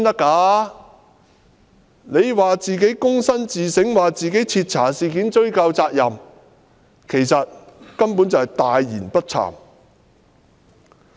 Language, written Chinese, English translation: Cantonese, 他說自己躬身自省，會徹查事件及追究責任，其實他根本是大言不慚。, He said he would engage in humble introspection thoroughly investigate the matter and affix the responsibility . In fact he was just bragging unblushingly